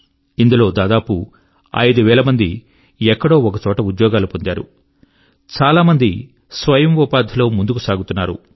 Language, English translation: Telugu, Out of these, around five thousand people are working somewhere or the other, and many have moved towards selfemployment